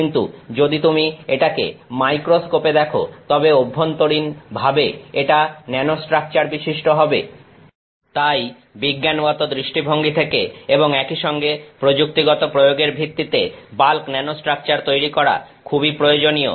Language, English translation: Bengali, But, if you look at it in the microscope it is nanostructured internally so, therefore, there is a very strong need to make bulk nanostructures both from a scientific perspective as well as technological applications